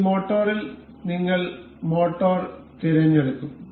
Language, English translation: Malayalam, In this motor, we will select we will select motor